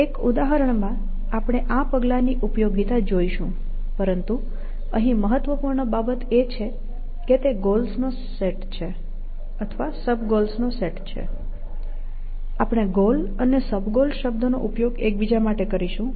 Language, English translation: Gujarati, We will see the usefulness of this step in the example that we see, but the important thing to note here, is that it is taking a set of goals, or a set of sub goals; we use the term goals and sub goals, interchangeably